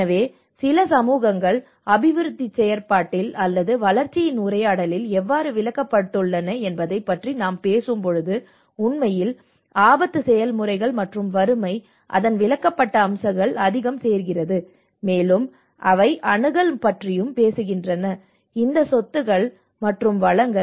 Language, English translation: Tamil, So in fact, when we talk about how certain societies have been excluded in the development process or in the dialogue of the development you know these all things are actually the risk processes and poverty adds much more of the excluded aspect of it, and they also talks about the access to these assets and the resources